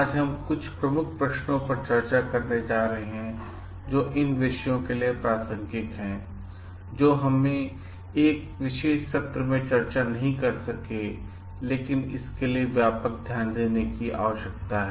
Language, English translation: Hindi, Today we are going to take up certain key questions which are relevant to the topics which may be we could not discuss in a particular session, but which requires extensive focus